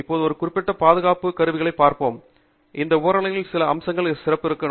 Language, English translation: Tamil, Right we will now look at specific safety equipment and I will highlight some of those features of those equipment